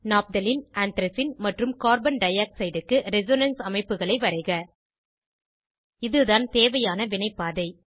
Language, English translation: Tamil, These are the resonance structures of Naphthalene, Anthracene and Carbon dioxide